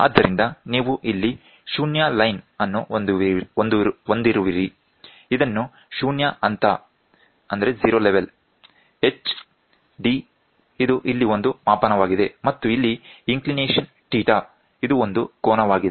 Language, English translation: Kannada, So, I here you have a 0 line this is called a zero level h d this is a scale here and here is the inclination which is there and this is the angle theta